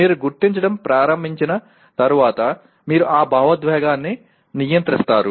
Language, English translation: Telugu, Once you start recognizing and then you control that emotion